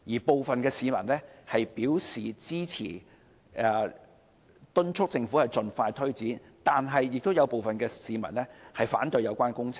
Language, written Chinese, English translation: Cantonese, 部分市民表示支持工程，敦促政府盡快推展，但亦有部分市民反對有關工程。, Some people are supportive of the works and call for expeditious implementation by the Government but there are also some who think the opposite